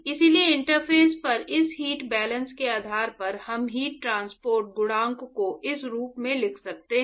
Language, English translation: Hindi, So, therefore, based on this heat balance at the interface, we can write the heat transport coefficient as